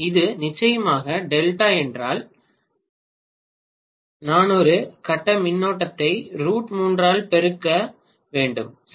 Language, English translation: Tamil, If it is delta of course I have to multiply the per phase current by root three, right